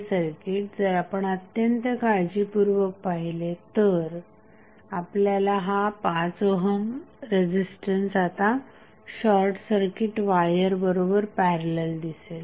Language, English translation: Marathi, If you see the circuit carefully you will see that 5 ohm is now in parallel with the short circuit wire